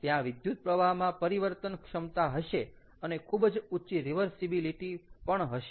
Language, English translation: Gujarati, there is a flexibility in current and its high reversibility